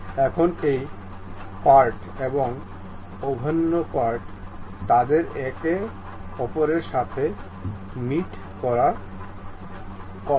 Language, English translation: Bengali, Now, this surface and internal surface, they are supposed to meet each other